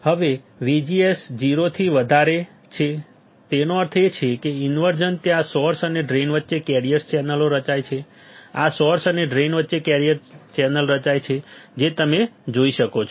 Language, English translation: Gujarati, Now, VGS is greater than 0; that means, inversion is there conductive channels forms between source and drain right this is conductive channel is formed between source and drain as you can see